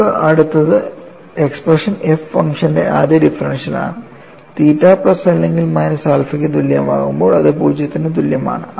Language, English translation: Malayalam, And the next expression what you have, is the first differential of the function f is 0; f is 0, when theta equal to plus or minus alpha